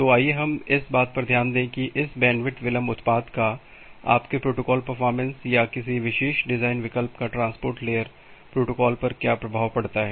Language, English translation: Hindi, So, let us look into that how this bandwidth delay product has an impact over your protocol performance or your design choice of a particular transport layer protocol